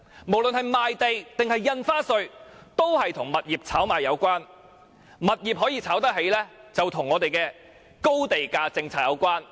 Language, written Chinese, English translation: Cantonese, 無論是賣地收入或印花稅，均與物業炒賣有關，物業可以炒得起，就與我們的高地價政策有關。, Both the revenues from land sales and stamp duties are related to property speculation; and rampant property speculation is in turn related to the Governments high land premium policy